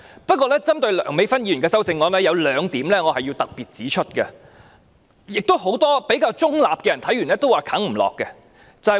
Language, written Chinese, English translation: Cantonese, 不過，針對梁美芬議員的修正案，有兩點我要特別指出，亦是很多比較中立的議員看了後表示未能接受的原因。, But now what Dr Priscilla LEUNG has done is that she has deleted the words Policy Address . In particular I wish to say two things about Dr Priscilla LEUNGs amendment . This is also the reason why many relatively neutral Members cannot accept her amendment after reading it